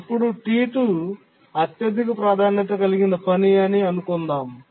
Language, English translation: Telugu, Let's assume that task T1 is a high priority task